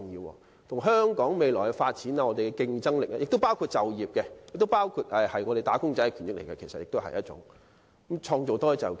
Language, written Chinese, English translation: Cantonese, 這關乎香港未來的發展和競爭力，同時亦涉及就業問題，與我們"打工仔"的權益息息相關，也可以創造更多就業機會。, Not only is this motion imperative for the future development and competitiveness of Hong Kong but is also closely related to the interests of employees given that it can help create more job opportunities and thus has an implication on employment